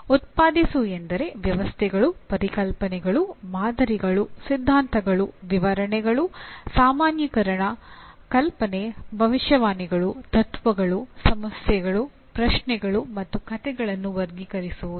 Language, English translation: Kannada, Generation is it can be classifying systems, concepts, models, theories, explanations, generalization, hypothesis, predictions, principles, problems, questions, and stories